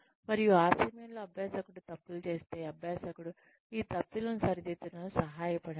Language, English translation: Telugu, And at that point, if the learner makes mistakes, then help the learner, correct these mistakes